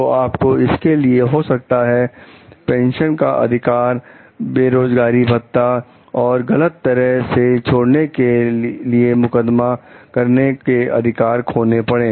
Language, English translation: Hindi, So, you therefore, then you may be losing pension rights, unemployment compensation, and the right to sue for improper discharge